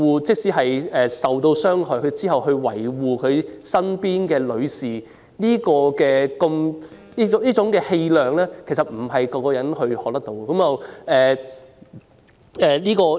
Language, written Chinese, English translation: Cantonese, 即使受到傷害，他仍然維護身邊的女士，這種氣量不是人人學到的。, Even if he has been hurt he still defends the lady beside him . Such broad - mindedness cannot be learnt by everyone